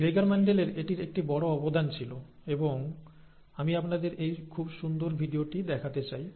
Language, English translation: Bengali, So that is, that was a big contribution by Mendel, Gregor Mendel, and I would like you to watch this very nice video